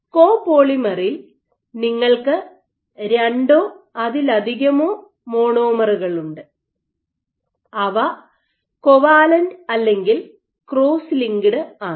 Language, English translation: Malayalam, Copolymer you have two or more entities which are covalently or cross linked